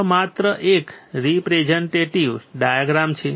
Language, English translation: Gujarati, This is just a representative diagram right there